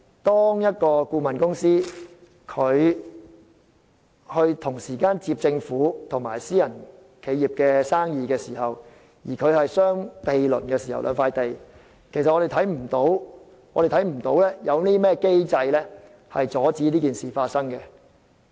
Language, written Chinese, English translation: Cantonese, 當一間顧問公司同時承接了政府和私人企業的生意，而涉及的兩個項目又相毗鄰時，現時並無任何機制阻止同類事件發生。, When a consultant is simultaneously engaged in projects of the Government and of a private enterprise and the two projects involved sites that are adjacent to one another there is currently no mechanism to stop the occurrence of such incidents